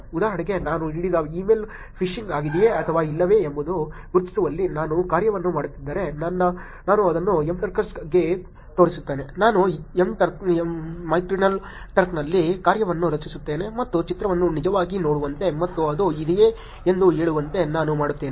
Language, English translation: Kannada, For example, if I were do a task in identifying whether a given email is phishing or not I would actually it show to the Mturkers, I would create the task on mechanical turk and get users to actually look at the image and say whether it is phishing or not